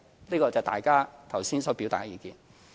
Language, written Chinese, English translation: Cantonese, 這是大家剛才所表達的意見。, This is the remarks made by Members earlier